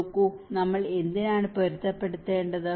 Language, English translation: Malayalam, See, why do we need to adapt